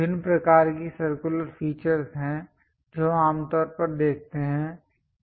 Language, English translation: Hindi, There are variety of circular features we usually see it